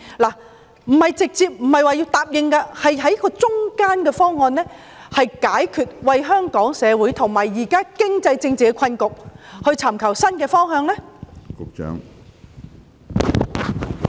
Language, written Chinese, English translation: Cantonese, 我不是要當局一口答應，而是要設法找出一個中間方案，以及為香港社會現時的經濟及政治困局尋找新的方向。, I am not saying that the authorities have to adopt my view immediately but they must strive to work out a balanced proposal and find a new way forward to break the present economic and political deadlocks in our society now